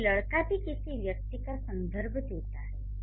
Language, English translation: Hindi, So, boy is a reference to a person